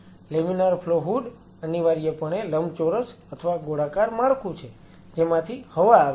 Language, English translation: Gujarati, Laminar flow hood is essentially rectangular or circular structure which where the airs